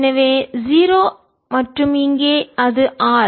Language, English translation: Tamil, from this zero, two, r zero